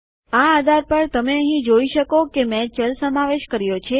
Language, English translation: Gujarati, On this basis, you can see here that Ive incorporated a variable